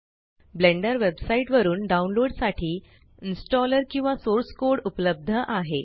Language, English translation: Marathi, The installer or source code is available for download from the Blender website